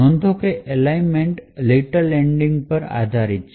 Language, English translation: Gujarati, Note that the alignment is based on Little Endian